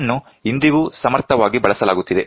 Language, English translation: Kannada, This is very efficiently used even today